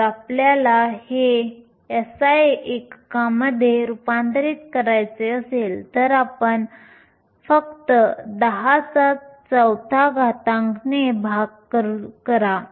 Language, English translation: Marathi, If you want to convert this to SI units, you just divide by 10 to the 4